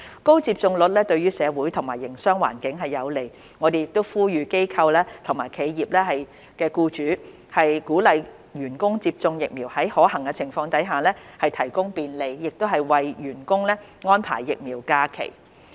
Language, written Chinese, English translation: Cantonese, 高接種率對社會和營商環境有利，我們呼籲機構及企業僱主鼓勵員工接種疫苗，在可行情況下提供便利，為員工安排疫苗假期。, A high vaccine take - up rate is beneficial for our society and businesses . The Government appeals to organizations and enterprises to encourage their staff to get vaccinated and to arrange vaccination leave and other facilitation measures where practicable